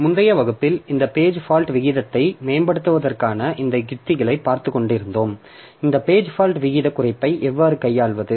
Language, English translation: Tamil, So, in our last class, we are looking into this strategies for improving this page fault rate, how to handle this page fault rate reduction